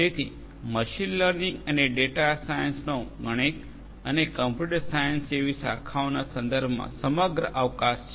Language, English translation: Gujarati, So, this is the overall scope of machine learning and data science with respect to branches such as mathematics, computer science and so on